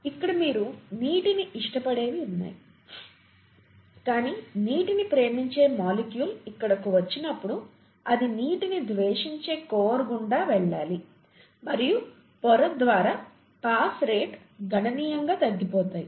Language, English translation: Telugu, But when water loving molecule comes here it needs to pass through a water hating core and the rates of pass through the membrane would be slowed down significantly